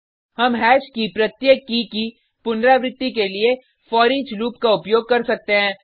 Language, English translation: Hindi, We can use foreach loop to iterate over each key of hash